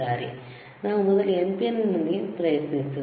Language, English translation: Kannada, So, let us try with NPN first one